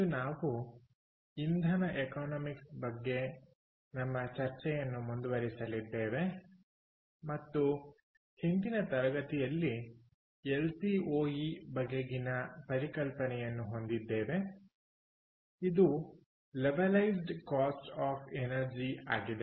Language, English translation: Kannada, today we are going to continue our discussion on energy economics and last class, we got introduced to the concept of lcoe, which is levelized cost of energy